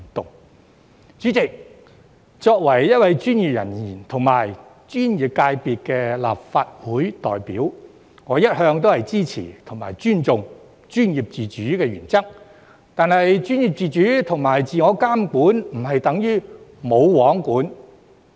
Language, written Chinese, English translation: Cantonese, 代理主席，作為一位專業人員及專業界別的立法會代表，我一向支持及尊重專業自主的原則，但專業自主和自我監管不等於"冇皇管"。, Deputy President as a professional and a representative of a professional constituency in the Legislative Council I support and respect the principle of professional autonomy but professional autonomy and self - regulation do not mean no regulation